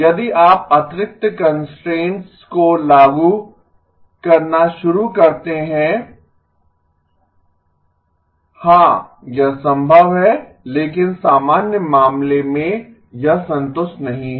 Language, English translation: Hindi, If you start imposing additional constraints, yes it is possible but in the general case this is not satisfied